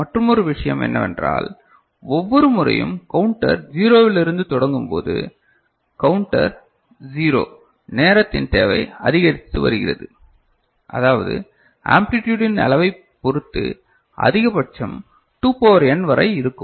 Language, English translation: Tamil, And also the other thing that we see that every time it starts from 0, counter starts from 0 ok the requirement of the time is getting increased I mean, a maximum could be as I said 2 to the power n depending on the magnitude of amplitude of this value, right